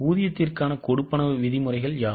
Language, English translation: Tamil, Now what are the terms of payments for wages